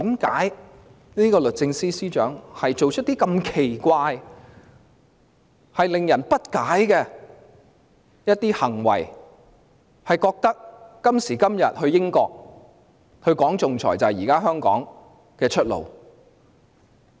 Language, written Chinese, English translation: Cantonese, 為何律政司司長做出如此奇怪和費解的行為，認為今時今日去英國談論仲裁是香港的出路？, How come the Secretary for Justice acted in such a strange and mysterious way believing that speaking on arbitration in the United Kingdom could give Hong Kong a way out in the current predicament?